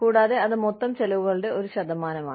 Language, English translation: Malayalam, And, that is a percentage of the total expenses incurred